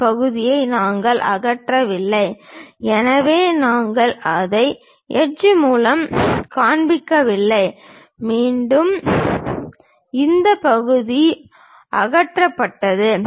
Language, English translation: Tamil, We did not remove this part; so, we do not show it by hatch and again this part is removed